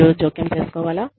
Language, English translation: Telugu, Should you intervene